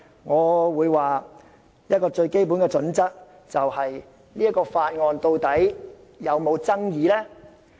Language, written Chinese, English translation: Cantonese, 我認為最基本的準則，便是該項法案是否具爭議性。, I think that the most fundamental criterion is whether the Bill is controversial